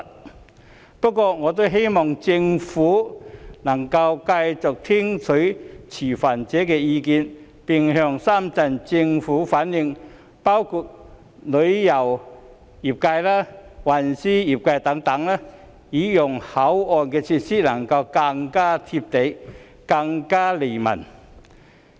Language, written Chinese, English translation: Cantonese, 儘管如此，我也希望政府能夠繼續聽取持份者的意見，並向深圳政府反映包括旅遊及運輸業界等的意見，讓口岸設施能夠更"貼地"及更利民。, Even so I also hope that the Government can continue to heed stakeholders views and relay to the Shenzhen Government the views of various industries including the tourism and transportation industries so that this land crossing facility can be more down - to - earth and bring more convenience to people